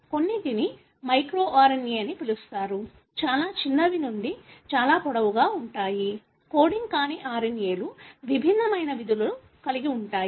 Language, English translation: Telugu, Some are called as micro RNA, being very small to very long, non coding RNAs, have diverse functions